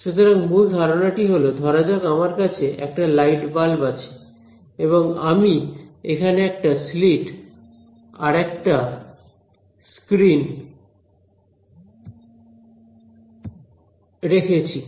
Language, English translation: Bengali, So, I mean the basic idea there is supposing I have light bulb over here and I put a slit and a screen over here